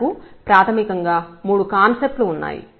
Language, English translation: Telugu, We have the three concepts